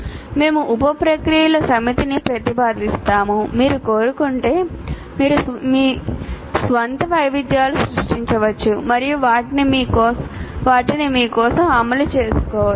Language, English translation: Telugu, As I said, we'll propose a set of sub processes if you wish you can create your own variations of that and implement it for yourself